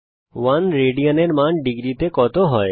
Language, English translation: Bengali, What is the value of 1 rad in degrees